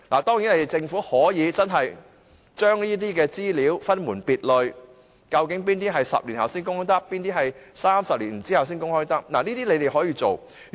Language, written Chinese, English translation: Cantonese, 當然，政府可以將這些資料分門別類，究竟哪些是10年後才可公開，哪些是30年後才可公開，這都是他們可以處理的。, Of course the Government can classify these information . Which of them can be disclosed after 10 years and which of them can be disclosed after 30 years are matters for them to decide